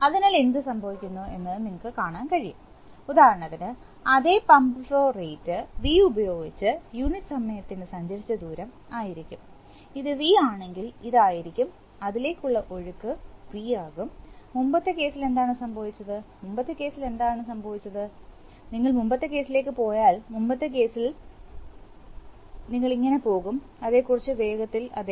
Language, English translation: Malayalam, So, then what happens is that you can you can see that the, for example with the same pump flow rate V, the distance traveled per unit time is going to be, if this is V, this is going to be, the flow into this is going to be V and in the previous case what was happening, in the previous case what was happening is that, if you go to the previous case, how do we go to the previous case, yep, little fast yeah